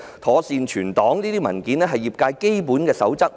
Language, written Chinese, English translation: Cantonese, 妥善保存 RISC 表格是業界的基本守則。, Proper safekeeping of RISC forms is the basic code of the industry